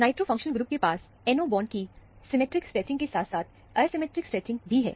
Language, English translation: Hindi, The nitro functional group has an asymmetric, as well as the symmetric stretching of the NO bond